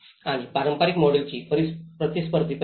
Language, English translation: Marathi, And the contested aspects of traditional model